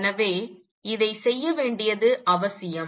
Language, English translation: Tamil, So, it is necessary to do this